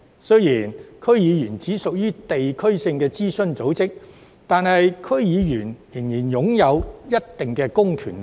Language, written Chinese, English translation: Cantonese, 雖然區議會只屬地區性諮詢組織，但區議員仍然擁有一定的公權力。, Although DCs are only district - based advisory bodies DC members still possess certain public powers